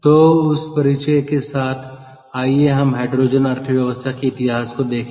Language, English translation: Hindi, lets look at the history of hydrogen economy